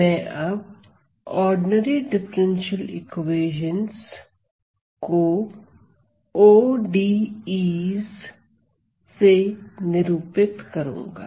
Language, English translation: Hindi, I from now on I am going to refer ordinary differential equations as ODEs